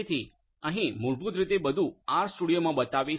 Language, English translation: Gujarati, So, here basically everything will be shown in the R studio